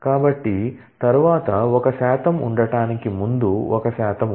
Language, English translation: Telugu, So, what is there is a percentage before there is a percentage after